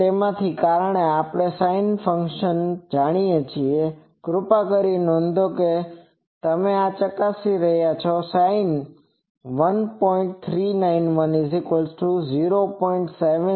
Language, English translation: Gujarati, So, since we know the sinc functions, actually please note this you can check these at sinc of 1